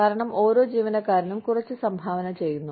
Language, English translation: Malayalam, Because, every employee is contributing, a little bit